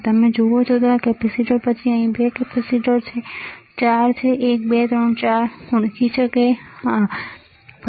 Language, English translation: Gujarati, You see, this one, capacitor, then there are 2 capacitors here 4 actually 1 2 3 4 can identify yes, all right